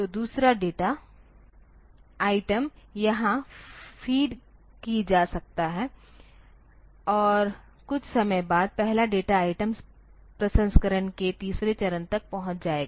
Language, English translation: Hindi, So, the second data item can be fed here and after some time the first data item will reach the third stage of processing